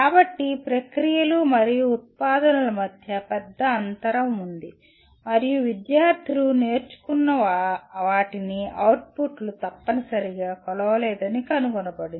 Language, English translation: Telugu, So there is a large gap between processes and outputs and it was found the outputs did not necessarily measure what the students learnt